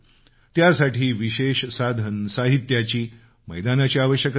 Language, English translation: Marathi, No special tools or fields are needed